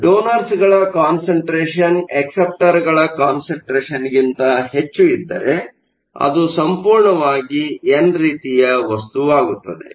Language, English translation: Kannada, So, we have both donors and acceptors, but if the concentration of donors is more than acceptors material is set to be over all n type material